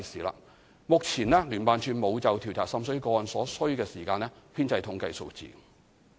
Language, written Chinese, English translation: Cantonese, 目前聯辦處並無就調查滲水個案所需時間編製統計數字。, JO does not compile statistics on the time for investigating water seepage cases